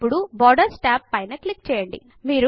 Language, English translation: Telugu, Now click on the Borders tab